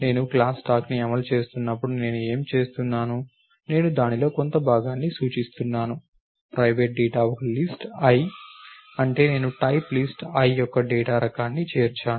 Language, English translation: Telugu, What am I doing when I am implementing the class stack, I am representing a part of it is private data a list l, that is I am including a data type which is of type list l